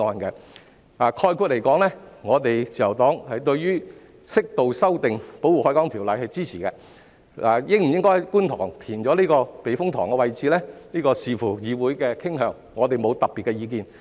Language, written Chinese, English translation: Cantonese, 概括而言，自由黨對於適度修訂《條例》是支持的，而應否在觀塘避風塘位置填海則視乎議會的傾向，我們沒有特別的意見。, To sum up the Liberal Party supports the appropriate amendment of the Ordinance . As to whether reclamation works should be carried out at the Kwun Tong Typhoon Shelter it depends on the disposition of the legislature as we do not have any specific views